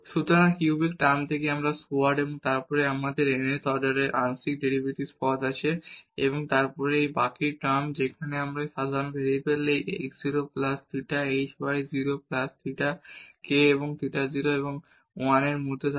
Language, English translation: Bengali, So, a squared from the cubic term and then we have this nth order partial derivatives terms and then this is the remainder term where we have this general variable this x 0 plus theta h y 0 plus theta k where theta is between 0 and 1